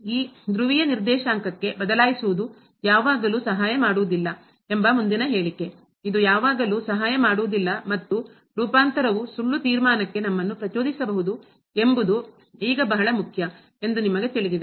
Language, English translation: Kannada, The next remark that changing to this polar coordinate does not always helps, you know this is very important now that it does not always help and the transformation may tempt us to false conclusion we will see some supporting example in this case